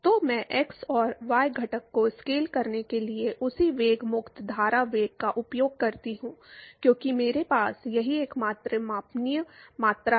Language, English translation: Hindi, So, I use the same velocity free stream velocity in order to scale the x and the y component, because that is the only measurable quantity that I have